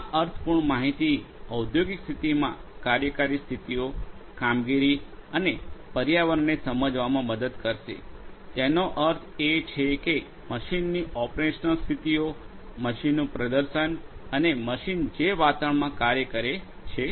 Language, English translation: Gujarati, This in meaningful information will help us to understand the operational states, the performance and the environment in the industrial setting; that means, the operational states of the machine, the performance of the machine and the environment in which the machine operates